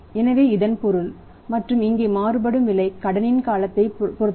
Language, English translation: Tamil, So it means and here also varying price means depends upon the credit period